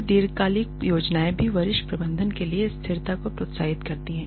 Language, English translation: Hindi, Then long term plans also encourage stability for senior management